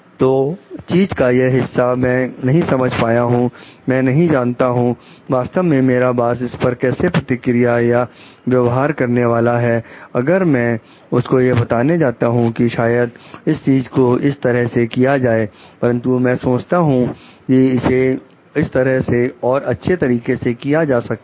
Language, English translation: Hindi, So, this part of thing I do not understand, I do not do I really cannot predict how my boss is going to behave if I am going to tell like maybe this is where you are telling to do it in this way, but I think it can be done in a better way in this way